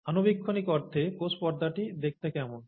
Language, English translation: Bengali, How does the cell membrane look like, in a microscopic sense